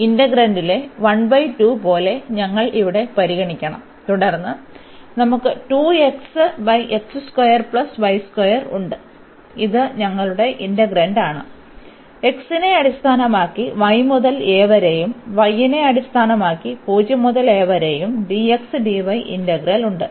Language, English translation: Malayalam, We should consider here like 1 by 2 in the integrand and then we have 2 x over this x square plus y square this is our integrand; and then we have the integral here with respect to x from y to a and with respect to y from 0 to a we have dx dy